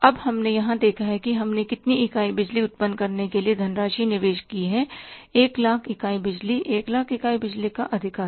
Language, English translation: Hindi, Now we have seen here that we have invested the funds to generate how many units of the power, 100,000 units of the power, 1 lakh units of the power